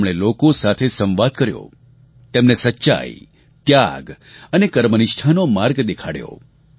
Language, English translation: Gujarati, He entered into a dialogue with people and showed them the path of truth, sacrifice & dedication